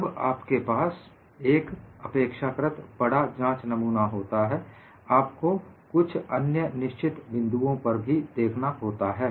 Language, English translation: Hindi, Once you have a larger specimen, you will also have to look at certain other considerations